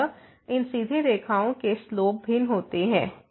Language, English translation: Hindi, So, the slope of these straight lines are different